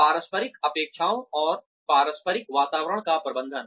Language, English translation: Hindi, Management of interpersonal expectations and intercultural environments